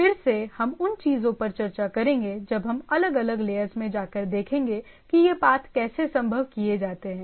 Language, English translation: Hindi, Again we will be discussing those things when we go at different layer that how these routings are made possible